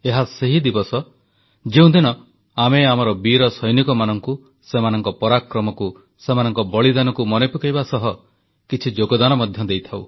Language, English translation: Odia, This is the day when we pay homage to our brave soldiers, for their valour, their sacrifices; we also contribute